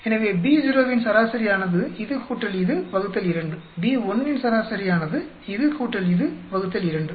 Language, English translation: Tamil, So, average of B naught will be this plus this divided by 2, average of B1 this plus this divided by 2